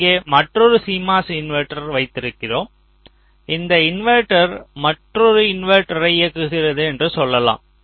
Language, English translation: Tamil, here we have a cmos inverter, here we have another cmos inverter